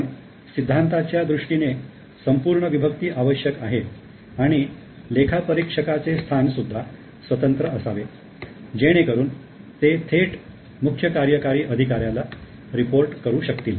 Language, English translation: Marathi, But it is necessary theoretically to have complete separation and have an independent position for auditors so that they can directly report to CEO or to the board